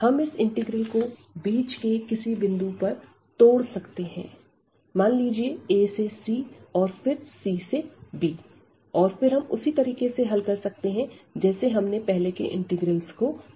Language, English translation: Hindi, We can also break this integral at some middle at some other point here like a to c and then c to b and then we can handle exactly the integrals we have handled before